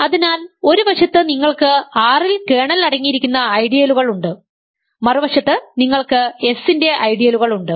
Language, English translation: Malayalam, So, there is a bijection between on the one hand you have ideals in R that contain the kernel and on the other hand you have ideals of S